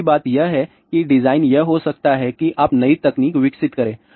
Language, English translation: Hindi, The second thing is design could be that frontier technology you develop new technology